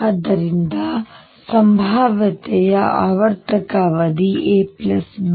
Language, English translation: Kannada, So, periodicity period of the potential is a plus b